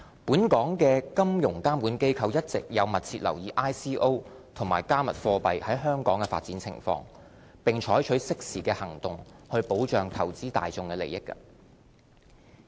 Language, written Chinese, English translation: Cantonese, 本港金融監管機構一直有密切留意 ICO 和"加密貨幣"在香港的發展情況，並採取適時的行動保障投資大眾的利益。, Our financial regulators are closely monitoring the development of ICOs and cryptocurrencies in Hong Kong . They are also taking appropriate measures to safeguard the interest of the investing public